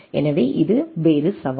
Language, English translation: Tamil, So, that is this is other challenge